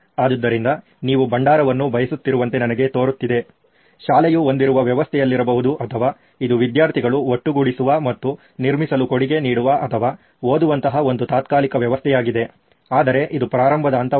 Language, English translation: Kannada, So, it looks to me like you want a repository, could be on a system that the school has or it is an adhoc system that the students get together and contribute towards a build or read it could be but this is the starting point